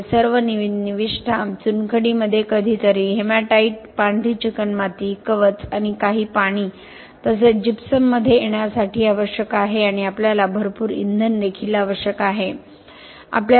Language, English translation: Marathi, So, this requires all this inputs to come in limestone sometime hematite, white clay, shell so on and some water as well gypsum and we also need a lot of fuels coming